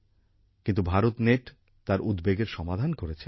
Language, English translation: Bengali, But, BharatNet resolved her concern